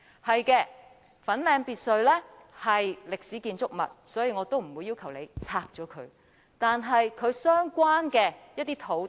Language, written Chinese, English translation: Cantonese, 不錯，粉嶺別墅是歷史建築物，所以我也不會要求拆卸它，但其相關的土地卻厲害了。, It is correct that the Fanling Lodge is a historical building so I will not ask for its demolition . However the land associated with it is remarkable